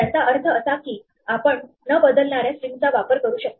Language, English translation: Marathi, This means that you can use strings which are immutable